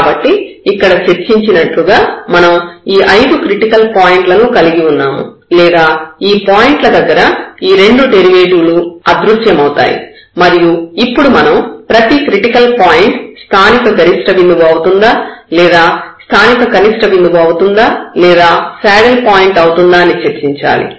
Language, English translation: Telugu, So, as discussed, so we have these 1 2 3 4 5 these 5 critical points or the points where both the derivatives vanished and now we have to discuss for each critical point that whether it is a point of local minimum or it is a point of local maximum or it is a critical point